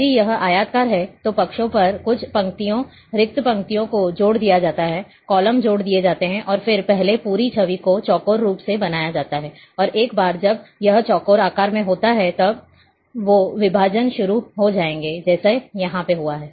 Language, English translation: Hindi, If it is rectangular, then on the sides, few rows, blank rows are added, columns are added, and the first the entire image is made in square form, and once it is in square shape, then divisions will start, like here it has happened